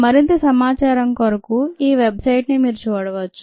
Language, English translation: Telugu, for more information, you could look at this website